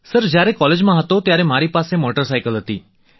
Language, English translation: Gujarati, Sir, I had a motorcycle when I was in college